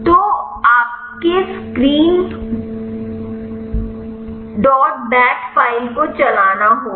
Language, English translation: Hindi, So, you have to run the screen dot bat file